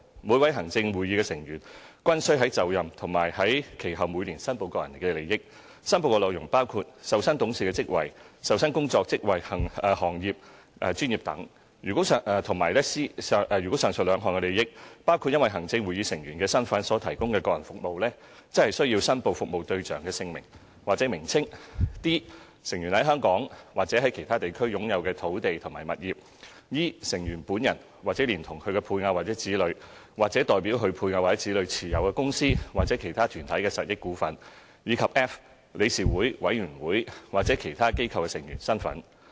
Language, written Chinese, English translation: Cantonese, 每位行政會議成員均須在就任時和其後每年申報個人利益，申報內容包括 a 受薪董事職位 ；b 受薪工作、職位、行業、專業等 ；c 如上述兩項的利益包括因行政會議成員身份所提供的個人服務，則須申報服務對象的姓名或名稱 ；d 成員在香港或其他地區擁有的土地及物業 ；e 成員本人或連同其配偶或子女、或代表其配偶或子女持有公司或其他團體的實益股份；以及 f 理事會、委員會或其他機構的成員身份。, On first appointment and annually thereafter each ExCo Member should declare their personal interests and the declaration includes a remunerated directorships; b remunerated employments offices trades profession and so on; c if the interests in the above two items include provision to clients of personal services which arise out of or relate in any manner to Members position as ExCo Members the clients names should be declared; d land and property owned by Members in or outside Hong Kong; e names of companies or bodies in which Members have either themselves or with or on behalf of their spouses or children a beneficial interest in shareholdings; and f membership of boards committees or other organizations